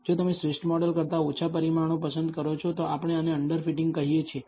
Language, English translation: Gujarati, If you choose less number of parameters than the optimal model, we call this under fitting